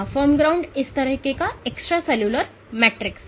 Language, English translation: Hindi, Firm ground is this extracellular matrix like